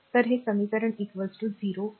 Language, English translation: Marathi, So, this is equation is equal to 0